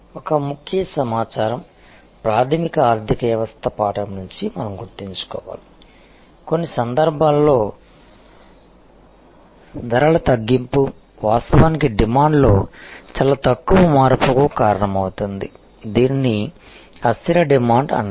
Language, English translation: Telugu, One thing, we have to remember from fundamental economies lesson than that in some case, a reduction in prices will actually cause very little change in the demand, this is called the inelastic demand